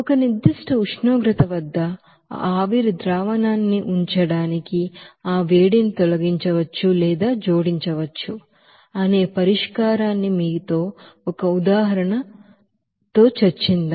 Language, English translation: Telugu, So let us do an example with you know solution where that heat can be removed or may be added to keep that final solution at a certain temperature